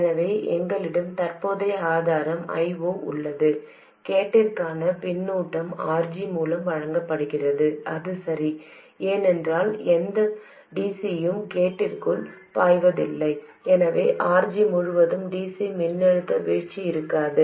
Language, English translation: Tamil, So, we have a current source I 0, the feedback to the gate is provided through RG and that is okay because no DC flows into the gate so there will be no DC voltage drop across RG